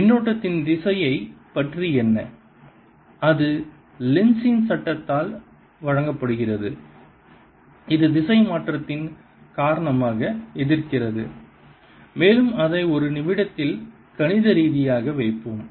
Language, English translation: Tamil, and that is given by lenz's law, which says that the direction is such that it opposes because of change, and we'll put that mathematically in a minute